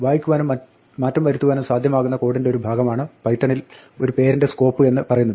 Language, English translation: Malayalam, The scope of a name in Python is the portion of the code where it is available to read an update